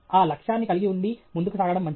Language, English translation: Telugu, It’s good to have that goal and proceed okay